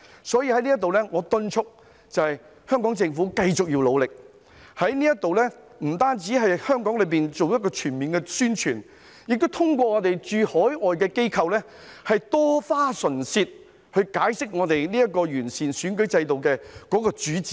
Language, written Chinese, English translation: Cantonese, 所以，我在此敦促香港政府要繼續努力，不單在香港做全面宣傳，亦要通過駐海外機構多花唇舌，解釋今次完善選舉制度的主旨。, Therefore I urge the Hong Kong Government to continue its efforts to not only carry out comprehensive publicity in Hong Kong but also spend more time explaining through its overseas agencies the main objectives of improving the electoral system